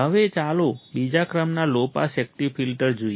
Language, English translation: Gujarati, Now, let us see second order low pass active filter